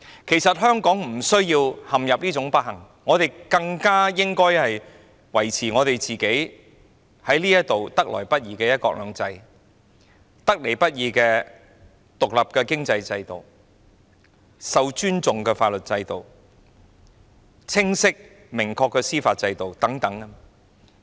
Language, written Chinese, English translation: Cantonese, 其實，香港無須陷入這種不幸的狀況，我們應維持香港得來不易的"一國兩制"、獨立的經濟制度、受尊重的法律制度、清晰明確的司法制度等。, What a misfortune! . In fact Hong Kong can be spared this misfortune . We should uphold the hard - won one country two systems independent economic system the respected legal system and the clear unambiguous judicial system and so on